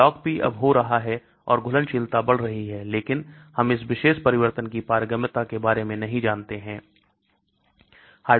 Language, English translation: Hindi, The Log P decreases so the solubility increases but we do not know about the permeability of this particular change